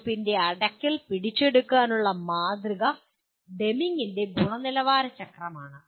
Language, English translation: Malayalam, The model to capture this closure of the loop is the Deming’s Quality Cycle